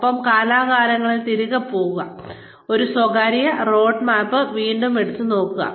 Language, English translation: Malayalam, And, from time to time, go back, revisit this personal roadmap